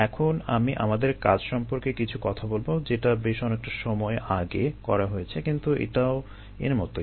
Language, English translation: Bengali, now let me talk about some of r work which is done quite while ago, but it also is on the same lines as this